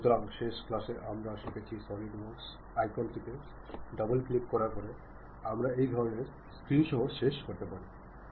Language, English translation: Bengali, So, in the last class, we have learnt that after double clicking the Solidworks icon, we will end up with this kind of screen